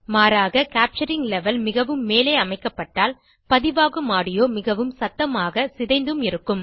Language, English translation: Tamil, Conversely, if the capturing level is set too high, the captured audio may be too loud and distorted